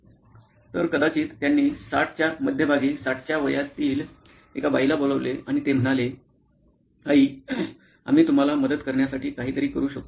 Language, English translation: Marathi, So, they called up a lady in her 60’s, mid 60’s maybe and they said, ‘Ma’am, can we do something to help you